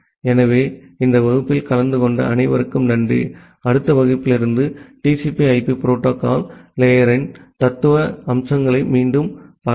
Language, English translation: Tamil, So, thank you all for attending this class; from the next class onwards, we will go for again the theoretical aspects of the TCP/IP protocol stack